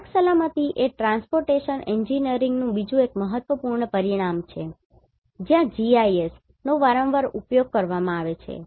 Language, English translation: Gujarati, Road Safety is another very important dimension of Transportation Engineering where the GIS is frequently used